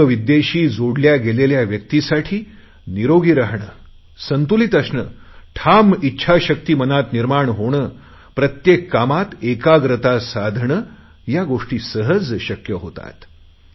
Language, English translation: Marathi, A person practicing Yog, can easily have the achievements of staying healthy, maintaining balance, being richly endowed with a strong will power, nurturing supreme self confidence and to have concentration in every task one does